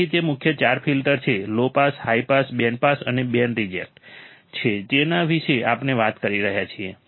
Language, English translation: Gujarati, So, that is the main four filters that we are talking about: low pass, high pass, band pass and band reject